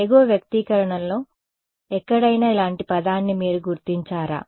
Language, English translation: Telugu, Do you recognize a term like this up here somewhere in the expression above